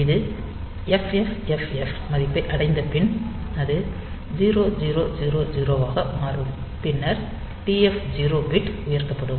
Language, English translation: Tamil, So, when it reaches the value FFFFH then it will roll over to 0 0 0 0, and then the TF 0 bit will be raised